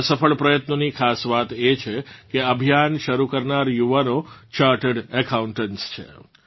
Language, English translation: Gujarati, The most important thing about this successful effort is that the youth who started the campaign are chartered accountants